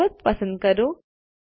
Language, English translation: Gujarati, Let us select the mountain